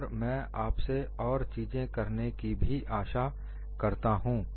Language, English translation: Hindi, And I also want you to do one more thing here